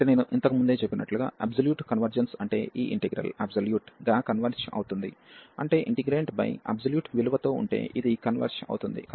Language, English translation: Telugu, So, as I said before, the absolute convergence means that this integral converges absolutely meaning that if with the absolute value over the integrant, if this converges